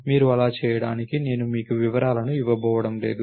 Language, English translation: Telugu, I am not going to give you the details for you to do that